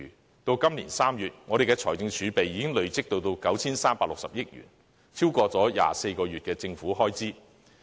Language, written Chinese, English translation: Cantonese, 截至今年3月，我們的財政儲備已累積至 9,360 億元，超過了24個月的政府開支。, As at March this year our accumulated financial reserves amount to 936 billion which is more than 24 months of government expenditure